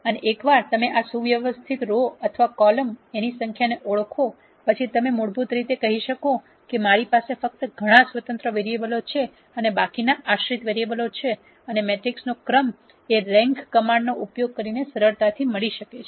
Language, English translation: Gujarati, And once you identify these number of linearly independent rows or columns then you could basically say that I have only so many independent variables and the remaining are dependent variables and the rank of the matrix can be easily found using the rank command in our rank of A